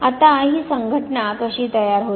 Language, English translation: Marathi, Now, how does this association form